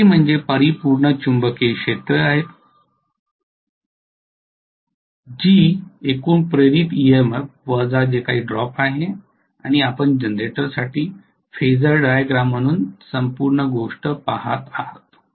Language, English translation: Marathi, Vt is the resultant magnetic fields overall induced EMF minus whatever is the drop and you are looking at the whole thing as the phasor diagram for the generator